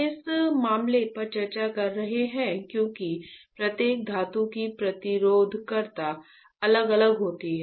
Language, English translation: Hindi, We are discussing this matters because the resistivity of each metal would be different right